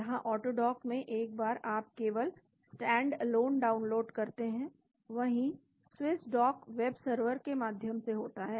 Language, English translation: Hindi, Where as, in AutoDock once you download just stand alone whereas Swiss Dock is through webserver